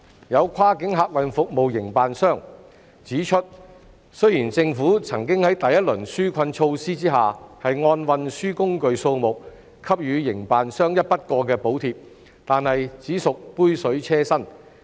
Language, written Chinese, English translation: Cantonese, 有跨境客運服務營辦商指出，雖然政府曾在第一輪紓困措施下按運輸工具數目給予營辦商一筆過補貼，但只屬杯水車薪。, Some cross - boundary passenger service operators operators have pointed out that while the Government did provide operators with a one - off subsidy based on the number of conveyances under the first - round relief measures the subsidy was just a drop in the bucket